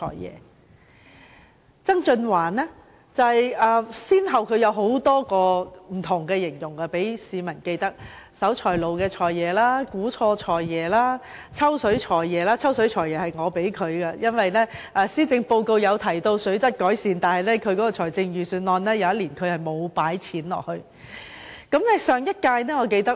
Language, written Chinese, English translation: Cantonese, 至於曾俊華先生，則先後給市民留下不同印象，例如"守財奴財爺"、"估錯數財爺"，而我給他的外號則是"抽水財爺"，因為某年的施政報告提到水質改善，但他卻未有在預算案中相應作出撥款。, As for Mr John TSANG he has left different impressions on the people such as the Financial Secretary who was tight - fisted and made wrong estimations in his Budgets . As for me I have once nicknamed him as the Financial Secretary who drew water because initiatives were proposed in the Policy Address delivered in a certain year to improve water quality but he did not earmark funding accordingly in the Budget that year